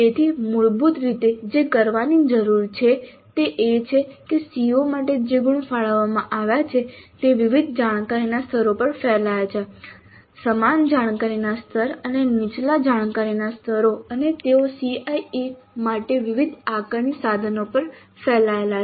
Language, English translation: Gujarati, So basically what needs to be done is that the marks for the CO which have been allocated are spread over different cognitive levels the same cognitive level and lower cognitive levels and they are spread over different cognitive levels, the same cognitive level and lower cognitive levels and they are spread over different assessment instruments for the CIE